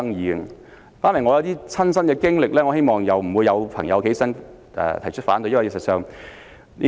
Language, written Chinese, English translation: Cantonese, 我想談談我的親身經歷，希望不會有議員站起來提出反對。, I would like to share my personal experience and I hope that Members will not rise to raise their objections